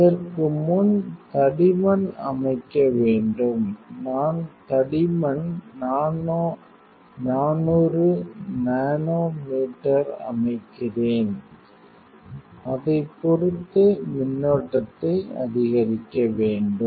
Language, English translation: Tamil, Before that you have set the thickness, I set at 400 nanometers for thickness; depending upon metal melting you have to increase the current